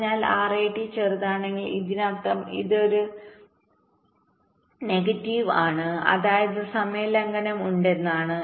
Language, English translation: Malayalam, but if rat is smaller, that means this is negative, which means there is the timing violation